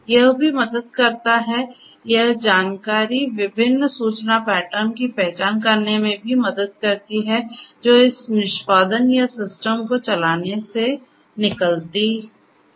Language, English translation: Hindi, It also helps, this information also helps in identifying different information patterns that emerge out of this execution or the running of the system